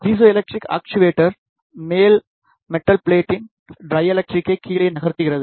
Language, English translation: Tamil, The piezoelectric actuator moves down the dielectric of the top metal plate